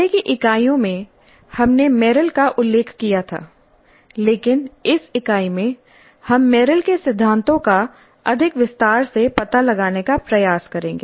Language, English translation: Hindi, In earlier units we referred to Meryl but in this unit we will try to explore Meryl's principles in greater detail